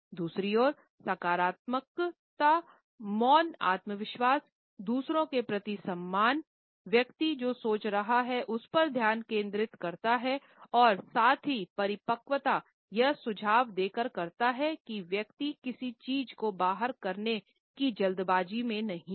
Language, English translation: Hindi, On the other hand positive silence indicates confidence, respect for others, focus on what the person is thinking and at the same time maturity by suggesting that the person is not in hurry to blurt out something